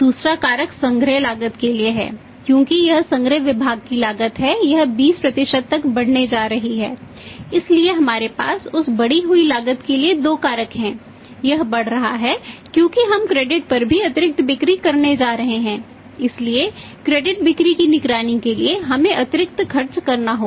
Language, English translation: Hindi, Second factor is for the collection cost because it cost of the collection department is going to rise by 20% so we have two factor for that increase cost is rising because we are going to have the additional sales on credit as well